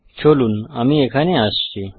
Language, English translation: Bengali, Let me come here